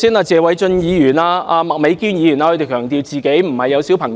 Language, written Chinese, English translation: Cantonese, 謝偉俊議員和麥美娟議員剛才強調自己沒有小孩。, Just now Mr Paul TSE and Ms Alice MAK stressed that they had no children